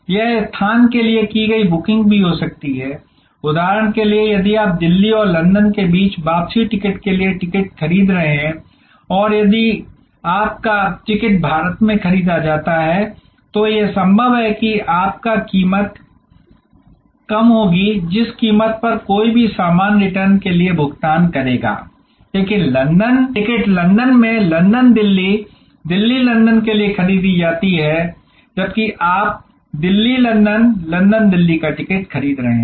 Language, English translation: Hindi, It could be also booking done for location, like for example, if you are buying a ticket for return ticket between Delhi and London and if your ticket is purchased in India, it is quite possible that your ticket will be, the price will be lower than the price which somebody will be paying for the same return, but the ticket is purchased in London for a London Delhi, Delhi London, whereas you are buying a Delhi London, London Delhi